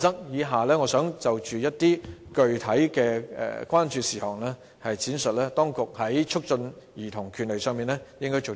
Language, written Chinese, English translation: Cantonese, 以下我想就着具體的關注事項，闡述當局在促進兒童權利上應該做些甚麼。, Next I would like to expound on what the authorities should do to promote childrens rights in respect of specific concerns